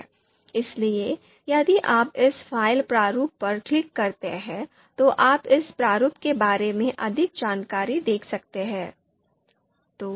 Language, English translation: Hindi, So if you click on this file format, you know you can see here more details about this format can be seen here in this manual page